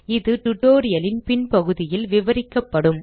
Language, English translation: Tamil, It will be explained in subsequent part of the tutorial